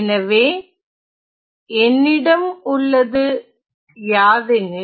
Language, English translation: Tamil, So, what I have is the following